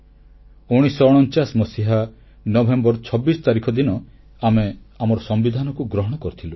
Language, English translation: Odia, Our Constitution was adopted on 26th November, 1949